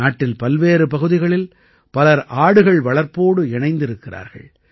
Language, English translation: Tamil, Many people in different areas of the country are also associated with goat rearing